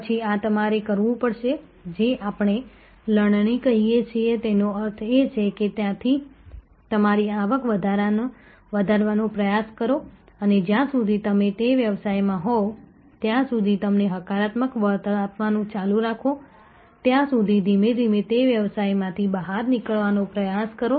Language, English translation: Gujarati, Then, these you may have to, what we call harvest; that means you try to maximize your income from there and try to slowly get out of that business as long as keeps continuing to give you positive return you be in that business